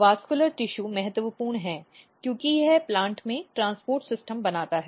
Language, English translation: Hindi, So, basically vascular tissue is very very important and it is it makes basically transport system in the plant